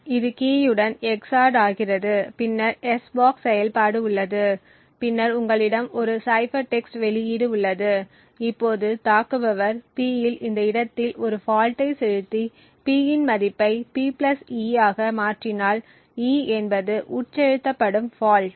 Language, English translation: Tamil, This gets xored with the key and then there is s box operation and then you have a cipher text output, now if the attacker is able to inject a fault at this location on P and change the value of the P to P + e, where e is the fault that is injected